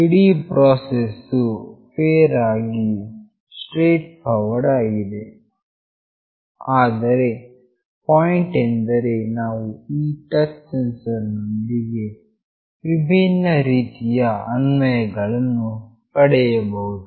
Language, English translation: Kannada, The entire process is fairly straightforward, but the point is we can have variety of applications with this touch sensor